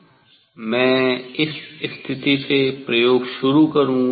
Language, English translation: Hindi, I will start experimenting from this position